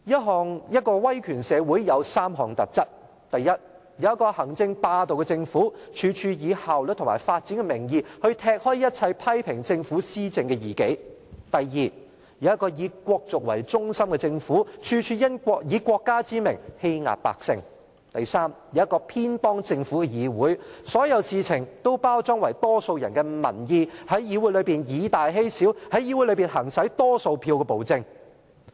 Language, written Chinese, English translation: Cantonese, 主席，威權社會有3項特質：第一，有一個行政霸道的政府，處處以效率及發展的名義來踢走一切批評政府施政的異己；第二，有一個以國族為中心的政府，處處以國家之名，欺壓百姓；以及第三，有一個偏幫政府的議會，所有事情均包裝成為多數人的民意，在議會內以大欺小，在議會內行使多數票的暴政。, First it has an executive - hegemonic government that is bent on in the name of efficiency and development kicking out all dissidents who criticize the government for its policy implementation . Second it has a nation - centred government that is bent on bullying and suppressing the masses in the name of the state . Third it has a legislature that favours the government by package all things into the views of the majority and in the legislature the big political party plays a bullying role and exercises tyranny of the majority